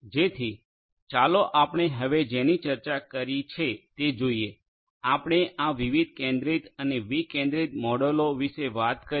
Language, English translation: Gujarati, So, let us look at what we have just discussed so, we talked about we talked about this different centralized and decentralized models